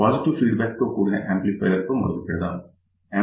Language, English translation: Telugu, So, we will start with an amplifier with positive feedback